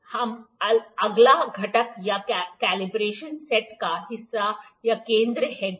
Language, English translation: Hindi, Now, the next component or the part of the combination set is this center head